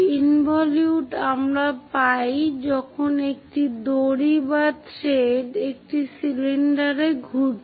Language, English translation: Bengali, So, involute we get it when a rope or thread is winding on a cylinder